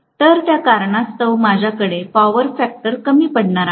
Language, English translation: Marathi, So because of which I am going to have the power factor lagging